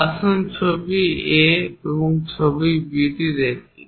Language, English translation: Bengali, Let us look at picture A and picture B